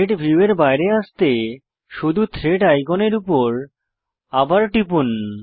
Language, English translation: Bengali, To come out of the Thread view, simply click on the Thread icon again